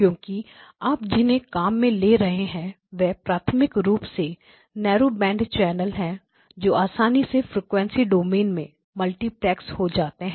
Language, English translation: Hindi, Because what you are dealing with are primarily narrow band channels which are then getting a suitably multiplex in the frequency domain